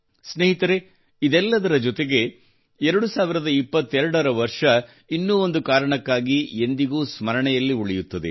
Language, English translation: Kannada, Friends, along with all this, the year 2022 will always be remembered for one more reason